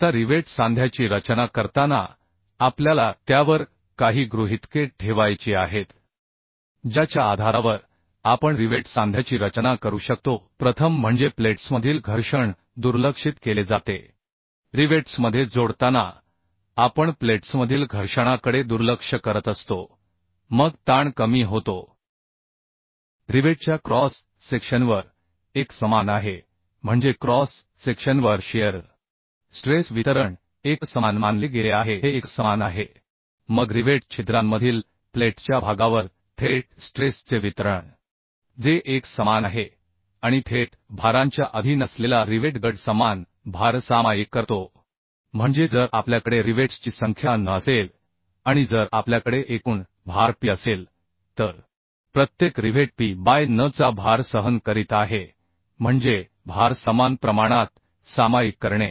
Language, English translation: Marathi, 5 or 2 mm more than the actual diameter that means nominal diameter Now while designing the rivet joint we have certain assumptions we have to make on the basis of which we can design a rivet joint First is friction between the plates are neglected when joining the rivets we are neglecting friction between the plates Then shear stress is uniform on the cross section of the rivet that means over the cross section the shear stress distribution has been consider as uniform this is uniform Then distribution of direct stress on the portion of the plates between the rivet holes in uniform that is also uniform and rivet group subjected to direct loads share the equal load that means if we have n number of rivets and if we have total load p then each rivet is withstanding load of p by n that means equally sharing the load Then bending stress in the rivet is neglected and we consider rivet fills completely the holes in which they are driven that means though rivet hole diameter and rivet diameter is slightly different that means 1